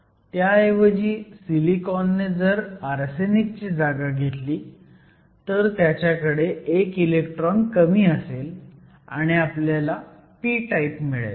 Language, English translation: Marathi, On the other hand, if silicon replaces arsenic, it has one less electron and it will make it p type